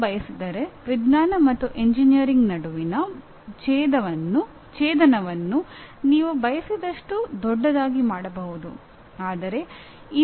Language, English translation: Kannada, If you want you can make that intersection between science and engineering as large as you want